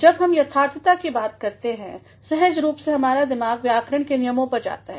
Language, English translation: Hindi, When we talk about correctness, naturally our mind goes to the rules of the grammar